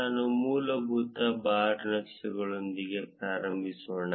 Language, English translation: Kannada, Let us start with the basic bar chart